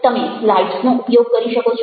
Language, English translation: Gujarati, you can use slides